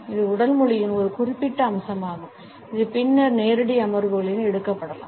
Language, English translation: Tamil, This is one particular aspect of body language, which perhaps can be taken later on in live sessions